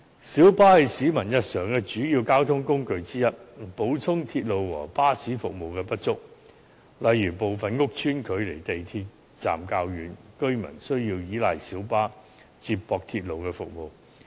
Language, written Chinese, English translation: Cantonese, 小巴是市民日常的主要交通工具之一，彌補鐵路和巴士服務的不足，例如部分屋邨距離港鐵站較遠，居民需要依賴小巴接駁鐵路服務。, Minibus is one of the major transport modes in the daily life of the public supplementing inadequate railway and bus services . For instance some housing estates are farther away from MTR stations thus residents have to rely on minibus for connection to railway services